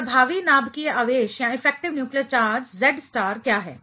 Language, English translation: Hindi, So, what is effective nuclear charge then Z star